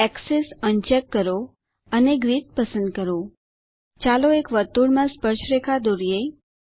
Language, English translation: Gujarati, uncheck Axes Select Grid let us draw tangent to a circle